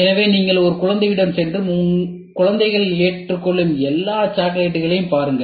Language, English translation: Tamil, So, then you get into the shoe of a kid and see what all chocolates will the children accept